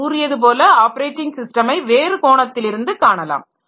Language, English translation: Tamil, As I said, the operating system can be viewed from different angle